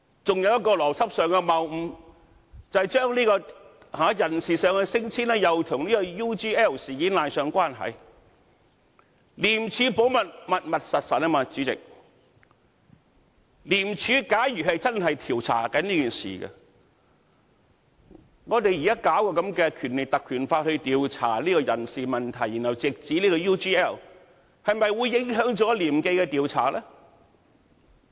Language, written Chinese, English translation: Cantonese, 還有一個邏輯上的謬誤，將人事上的升遷與 UGL 事件扯上關係，"廉署保密，密密實實"，主席，廉署假如真的正在調查此事，我們現在引用《條例》來調查人事問題，然後直指 UGL 事件，是否會影響廉署的調查呢？, Another logical fallacy is to link personnel promotion and transfer matters with the UGL incident . Be like dad keep mum President if ICAC is really investigating the matter will we affect the ICACs investigation if the Legislative Council Ordinance is invoked for investigating the personnel matters and then it is linked with the UGL incident?